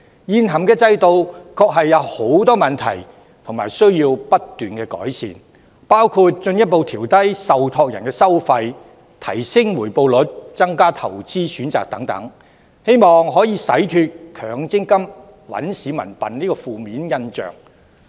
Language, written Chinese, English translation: Cantonese, 現行制度確有很多問題，需要不斷改善，包括進一步調低受託人的收費、提升回報率、增加投資選擇等，希望可洗脫強積金"搵市民笨"的負面印象。, It is true that the existing System is plagued with problems and requires continuous improvements which include further lowering of fees charged by trustees enhancing return rates and increasing investment options . It is hoped that these improvements may be able to remove the negative image of MPF taking advantage of the public